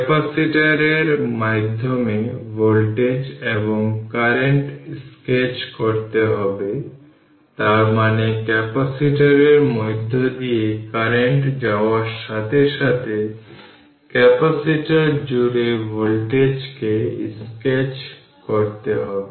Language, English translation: Bengali, Those sketch the voltage across and current through the capacitor; that means, you have to sketch the voltage across the capacitor as soon as current passing through the capacitor this you have to sketch right